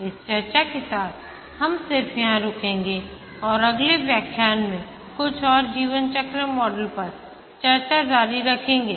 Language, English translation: Hindi, With this discussion we will just stop here and continue discussing a few more lifecycle models in the next lecture